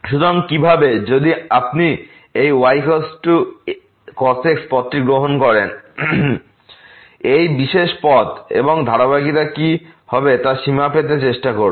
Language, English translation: Bengali, So how: if you take this path is equal to this special path, and try to get the limit for the continuity what will happen